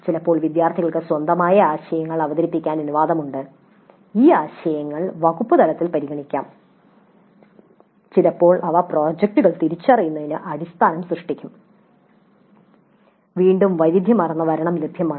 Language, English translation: Malayalam, Sometimes students are allowed to present their own ideas and these ideas can be considered at the department level and sometimes they will form the basis for identifying the projects